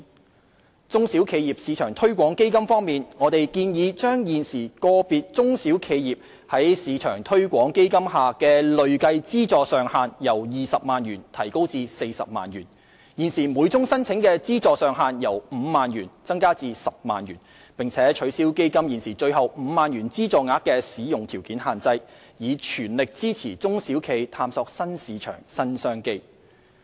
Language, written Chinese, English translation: Cantonese, 在"中小企業市場推廣基金"方面，我們建議將現時個別中小企業在"市場推廣基金"下的累計資助上限由20萬元提高至40萬元、現時每宗申請的資助上限由5萬元增加至10萬元，並取消基金現時最後5萬元資助額的使用條件限制，以全力支持中小企業探索新市場、新商機。, As for the SME Export Marketing and Development Funds we propose to increase the cumulative funding ceiling for SMEs under the SME Export Marketing Fund from 200,000 to 400,000 increase the funding ceiling per application from 50,000 to 100,000 and remove the existing condition on the use of the last 50,000 to give full support to SMEs in exploring new markets and new business opportunities